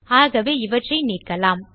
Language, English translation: Tamil, So lets get rid of these